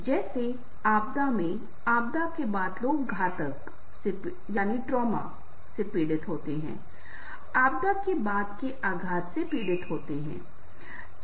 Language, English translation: Hindi, like in a disasters, in post disaster, people suffer from a trauma